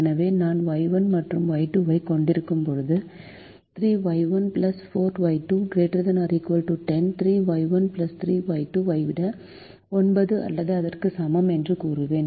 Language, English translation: Tamil, so when i have y one and y two, i will say three, y one plus four, y two greater than or equal to ten, three, y one plus three y two greater than or equal to nine